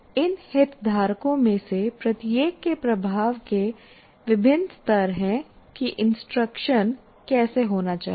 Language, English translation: Hindi, These are all stakeholders and each one of them have different levels of influence on how the instructions should take place